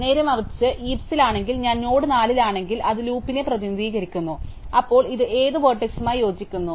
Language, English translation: Malayalam, Conversely, if I am in the heap and I am if I am at node 4, which is represented loop, then which vertex does this correspond to